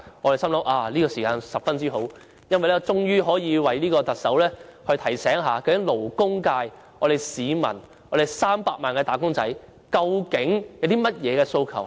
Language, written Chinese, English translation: Cantonese, 我心想這時間十分好，因為可以藉議案提醒特首勞工界的300萬個"打工仔"歷年的訴求。, I thought the timing was perfect as I could take the opportunity of proposing the motion to remind the Chief Executive of the aspirations of 3 million workers from the labour sector over the years